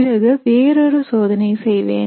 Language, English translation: Tamil, Then I will do another experiment